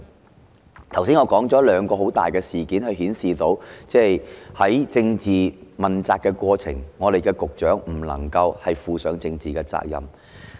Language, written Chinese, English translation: Cantonese, 我剛才指出了兩次大型事件，顯示局長在政治問責過程中沒有承擔政治責任。, I have just pointed out two major incidents which show that the Secretary has not taken on political responsibilities in the process of political accountability